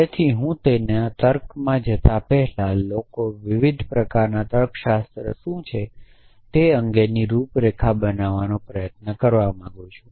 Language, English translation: Gujarati, So, before I get into logic I want to sought of try to create a outline of what are the different kind of logics at people talk about essentially